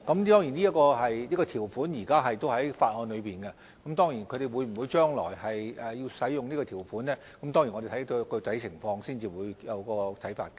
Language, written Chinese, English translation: Cantonese, 當然，這項條款現時仍然在法案中，至於積金局將來會否使用這項條款，我們要視乎具體情況才會有看法。, Of course this provision is still in the ordinance . In regard to whether MPFA will invoke this provision in the future we will not make any comments until after we have examined the actual situation